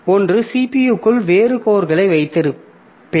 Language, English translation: Tamil, So within a CPU, I have got different cores